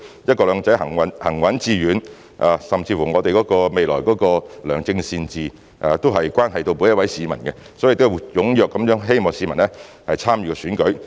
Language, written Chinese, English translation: Cantonese, "一國兩制"能否行穩致遠，甚至是我們未來能否達致良政善治，都關係到每一位市民，因此希望市民踴躍參與選舉。, Whether the steadfast and successful implementation of one country two systems can be ensured and even whether good governance can be achieved in the future are matters that have a bearing on each and every member of the public . Therefore I hope members of the public will actively participate in the elections